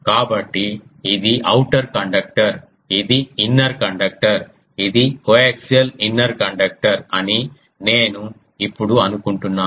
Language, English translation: Telugu, So, this one is ah outer conductor this the inner conductor coax inner conductor this one I think this is ok now